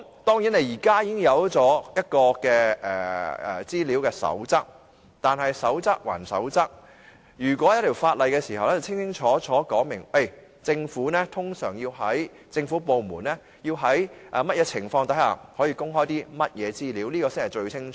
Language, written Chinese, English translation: Cantonese, 當然，現時已有一套《公開資料守則》，但守則歸守則，在訂立法例後，便能清清楚楚說明政府部門通常要在甚麼情況之下才可公開甚麼資料，這才是最清楚的。, Certainly we already have a set of Code on Access to Information at present but after all a code is still a code . If the legislation is enacted it can then clearly set out what information can government departments normally disclose under what circumstances . This will be crystal clear